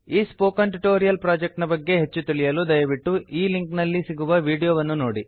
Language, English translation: Kannada, To know more about the Spoken Tutorial project, watch the video available at the following link, It summarizes the project